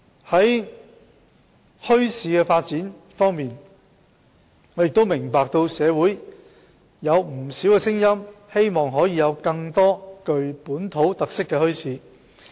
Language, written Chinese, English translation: Cantonese, 在墟市發展方面，我明白社會上有不少聲音希望可以設立更多具本土特色的墟市。, As for the development of bazaars I understand that many in the community have voiced the aspiration for the setting up of more bazaars with local characteristics